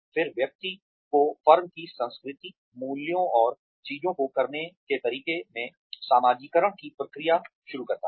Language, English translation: Hindi, Then, starting the person on the process of becoming socialized, into the firm's culture, values, and ways of doing things